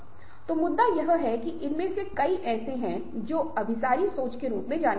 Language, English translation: Hindi, so the point is that many of these lead to what is known as convergent thinking